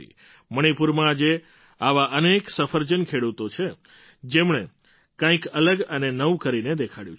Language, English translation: Gujarati, There are many such apple growers in Manipur who have demonstrated something different and something new